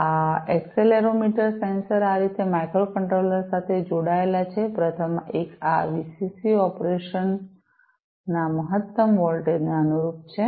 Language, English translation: Gujarati, These accelerometer sensors are connected to a microcontroller in this manner, the first one corresponds to this VCC the maximum voltage of operation